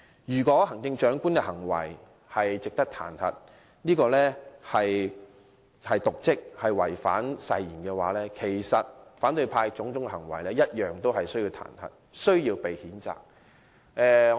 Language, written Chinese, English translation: Cantonese, 如果說行政長官瀆職和違反誓言，因而值得彈劾，那麼反對派同樣應因其種種行為而受到彈劾和譴責。, If it is said that the Chief Executive deserves to be impeached for dereliction of duty and breach of oath then I would say opposition Members should also be impeached and censured for various acts on their part